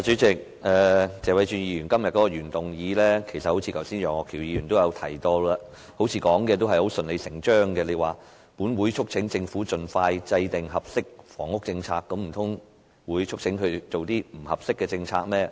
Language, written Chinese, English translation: Cantonese, 主席，剛才楊岳橋議員亦提到，謝偉俊議員今天的原議案似乎順理成章地說："本會促請政府盡快制訂合適房屋政策"，難道會促請政府制訂不合適的政策嗎？, President as Mr Alvin YEUNG mentioned earlier the statement This Council urges the Government to expeditiously formulate an appropriate housing policy in the original motion moved by Mr Paul TSE today seems to be necessarily true . Will one urge the Government to formulate an inappropriate policy?